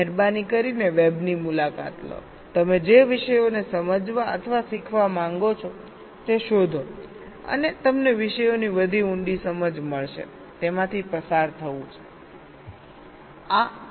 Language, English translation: Gujarati, please visit the web, search through the topics you want to understand and learn and you will get much more deep insight into the topics wants to go through them